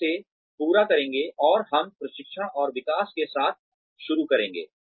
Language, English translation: Hindi, We will finish this, and we will start with, training and development